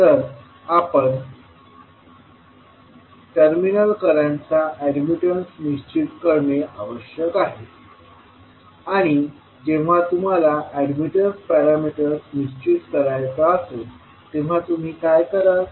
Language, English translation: Marathi, We have to determine the admittance parameter of the terminal currents and when you want to determine the admittance parameter, what you will do